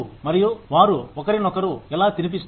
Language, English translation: Telugu, And, how they feed into each other